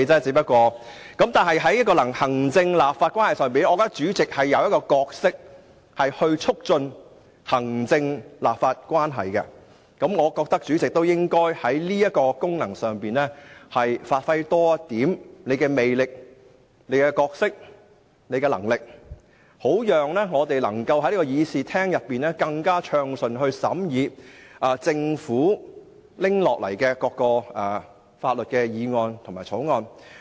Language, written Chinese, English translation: Cantonese, 在行政立法的關係上，我認為主席擔當促進行政立法關係的角色，所以主席應在這功能上，積極發揮和展現個人魅力、角色和能力，好讓我們能夠更暢順地在會議廳內審議政府提交的各項法案。, On the relationship between the executive authorities and the legislature I think the Chairman is playing the role of a facilitator . He should therefore strive to give full play to this function by showing his personal charisma as well as living up to his role and ability thereby enabling a more efficient scrutiny of the various bills submitted by the Government in this Chamber